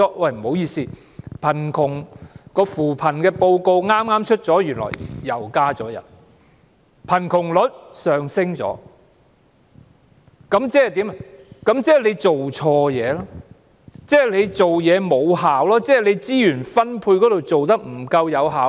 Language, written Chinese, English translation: Cantonese, 不好意思，剛公布的扶貧報告顯示，原來相關人數又增加了，貧窮率亦上升了，即是說，政府做錯事、做事欠缺成效、資源分配做得不夠有效。, Sorry as revealed in the recently released report on poverty alleviation the relevant figure has actually gone up again and so has the poverty rate . In other words the Government has erred . It has done its job ineffectively and its allocation of resources has not been efficient enough